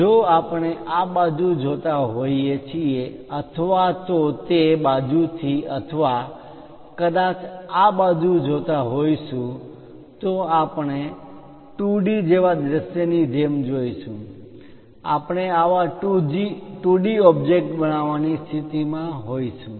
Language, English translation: Gujarati, That one, if we are looking at as a view as a 2D one either looking from this side or perhaps looking from that side or perhaps looking from this side, we will be in a position to construct such kind of 2D object